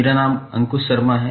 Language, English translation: Hindi, My name is Ankush Sharma